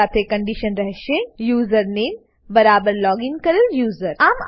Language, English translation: Gujarati, With the condition username is equal to the logged in user